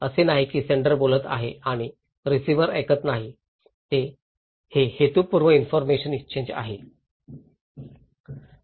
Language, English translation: Marathi, It’s not that senders is talking and receiver is not listening it is a purposeful exchange of information